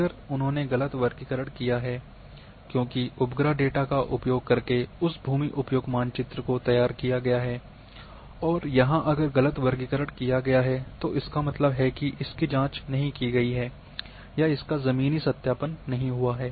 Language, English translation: Hindi, If they have done the wrong classification because that land used map have been prepared using satellite data and if a wrong classification has been performed properly it has not been checked or ground verifications have not happened